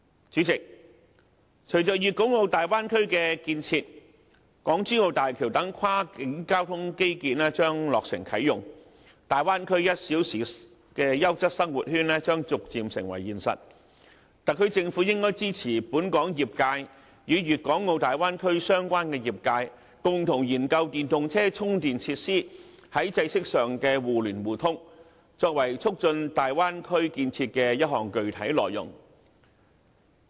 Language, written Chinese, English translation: Cantonese, 主席，隨着粵港澳大灣區的建設，港珠澳大橋等跨境交通基建將落成啟用，大灣區1小時優質生活圈將逐漸成為現實，特區政府應該支持本港業界與粵港澳大灣區相關的業界，共同研究電動車充電設施，在制式上的互聯互通，作為促進大灣區建設的一項具體內容。, President following the establishment of the Guangdong - Hong Kong - Macao Bay Area major cross - boundary transport infrastructure like the Hong Kong - Zhuhai - Macao Bridge will be commissioned for use and the ideal of one - hour quality living sphere is gradually materializing . Hence the SAR Government should provide support to both the relevant sectors at home and in the Bay Area for collaborative efforts in exploring the possibility of interoperability among chargers of various standards as a specific project to help enhance the Bay Areas infrastructure